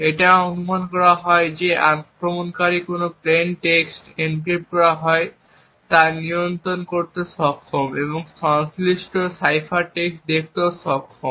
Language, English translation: Bengali, It is also assumed that the attacker is able to control what plain text gets encrypted and is also able to view the corresponding cipher text